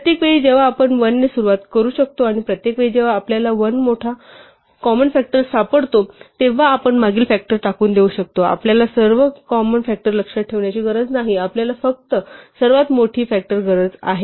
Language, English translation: Marathi, Each time we can start with 1 and each time we find a larger common factor we can discard the previous one, we do not need to remember all the common factors we only need the largest one